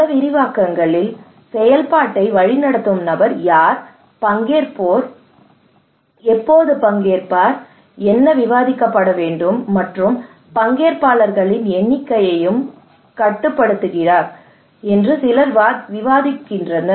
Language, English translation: Tamil, In many extents, some people argued that the facilitator he controls everything who will participate, when will participate, What should be discussed, the number of participants